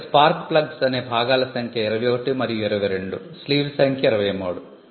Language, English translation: Telugu, So, the parts that are spark plugs are number 21 and 22, sleeve is number 23, the similar